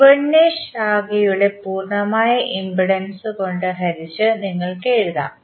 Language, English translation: Malayalam, You can write V 1 divided by the impedance of the complete branch